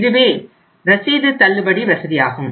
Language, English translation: Tamil, So this is the bill discounting facility